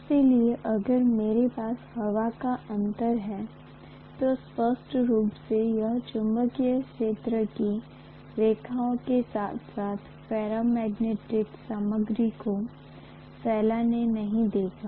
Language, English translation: Hindi, So if I am having the air gap, clearly it is not going to pass the magnetic field lines as well as the ferromagnetic material